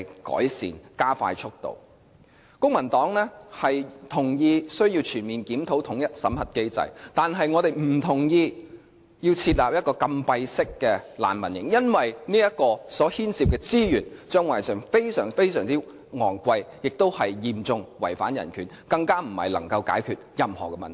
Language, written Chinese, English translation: Cantonese, 公民黨同意需要全面檢討統一審核機制，但我們不同意設立禁閉式難民營，因為這牽涉的資源將會非常昂貴，亦嚴重違反人權，更不能解決任何問題。, The Civic Party agrees that the unified screening mechanism should be comprehensively reviewed but we do not support the establishment of closed holding centres because it involves a substantial amount of resources and it will seriously undermine human rights and cannot solve any problem